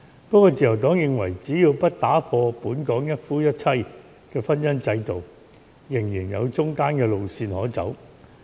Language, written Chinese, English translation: Cantonese, 不過，自由黨認為，只要不打破本港一夫一妻的婚姻制度，仍然有中間的路線可走。, Nevertheless the Liberal Party considers that as long as the monogamous marriage institution based on one man and one woman in Hong Kong is not broken we can still opt for middle - of - the - road solutions